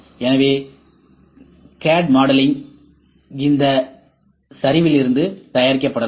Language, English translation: Tamil, So, CAD modeling can be produced out of this ok